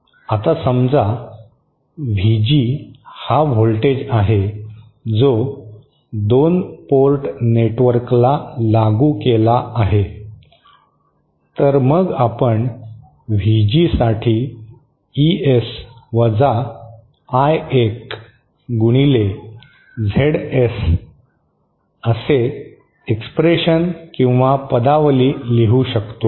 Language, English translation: Marathi, Now suppose VG is the voltage that is applied to the 2 port network, then we can write an expression for VG as equal to ES I1 times ZS